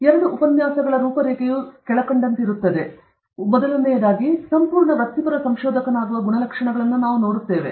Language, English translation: Kannada, So, the outline of the two lectures will be as follows: first, we will see what are the attributes of becoming a fully professional researcher